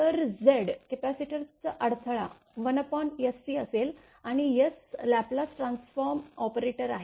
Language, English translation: Marathi, So, Z c will be 1 upon SC right and S is the Laplace transform operator